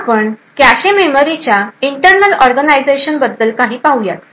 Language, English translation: Marathi, Now, we would have to look at some more internal organization about the cache memory